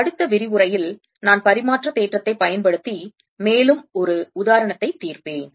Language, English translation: Tamil, in the next lecture i'll solve one more example using reciprocity theorem